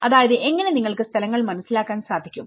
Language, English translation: Malayalam, I mean how you can understand the places